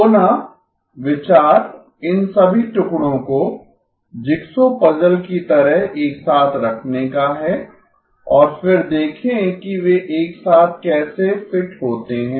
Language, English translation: Hindi, Again, the idea is to put all these pieces together like the jigsaw puzzle and then see how they fit together